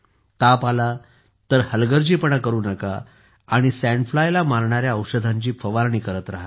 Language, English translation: Marathi, Do not be negligent if you have fever, and also keep spraying medicines that kill the sand fly